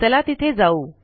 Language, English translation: Marathi, Lets just go there